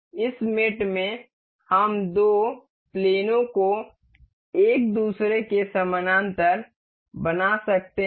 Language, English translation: Hindi, In this mate we can make two planes a parallel to each other